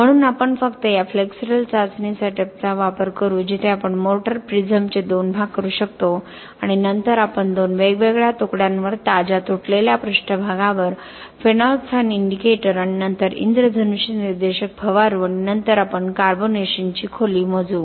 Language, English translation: Marathi, So we will just use this flexural test setup where we can break the motor prism into two and then we will spray the phenolphthalein indicator and then rainbow indicator on the freshly broken surfaces on the two different pieces and then we will measure the carbonation depth